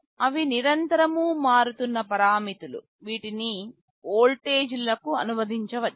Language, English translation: Telugu, They are continuously varying parameters that can be translated to voltages